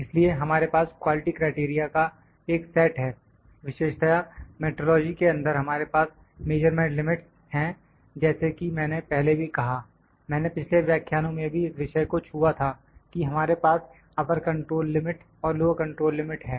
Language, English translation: Hindi, So, we have a set of quality criteria, specifically, in metrology we have the measurement limits like I said before I just touched this topic in the previous lecture that we have upper control and low control limit